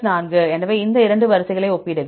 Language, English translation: Tamil, 4; so compare these 2 sequences